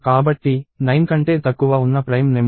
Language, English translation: Telugu, So, what are the prime numbers that are less than 9